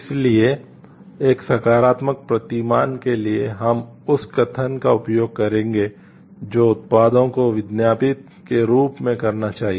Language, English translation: Hindi, So, for a positive paradigm we will use the statement that products should perform as advertised